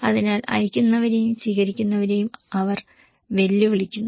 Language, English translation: Malayalam, So, the senders and receivers they are challenged